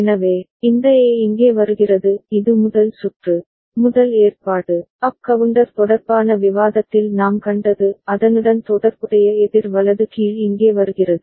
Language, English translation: Tamil, So, this A is coming over here this is the first circuit, first arrangement that we have seen in the discussion related to up counter; and its corresponding counterpart is coming here for the down counter right